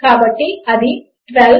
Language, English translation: Telugu, So, thats 12